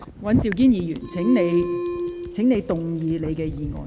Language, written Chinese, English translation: Cantonese, 尹兆堅議員，請動議你的議案。, Mr Andrew WAN please move your motion